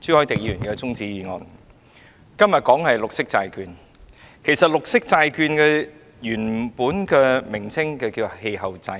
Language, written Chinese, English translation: Cantonese, 今天討論的議題是綠色債券，綠色債券的原名是氣候債券。, The question under discussion is green bonds which are originally known as the climate awareness bonds